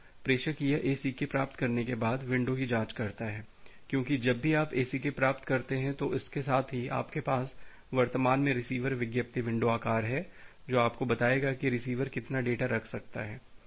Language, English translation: Hindi, Now the sender it checks the window after receiving an ACK, because whenever you are receiving an ACK, with that you have this currently receiver advertised window size, which will tell you that what how much of the data the receiver can hold